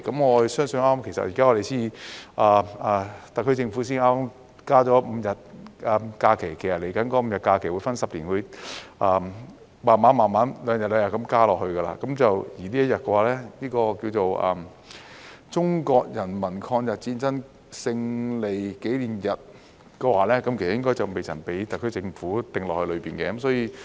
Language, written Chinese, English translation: Cantonese, 我相信特區政府才剛剛增加了5日假期，未來這5天假期會分10年慢慢地每兩年增加一天，而名為"中國人民抗日戰爭勝利紀念日"的這一天應該未被特區政府加入其中。, I think the SAR Government has just added five more holidays to be increased progressively over 10 years by increasing one day every two years . This day known as the Victory Day of the Chinese Peoples War of Resistance against Japanese Aggression is not among the additional holidays to be increased by the SAR Government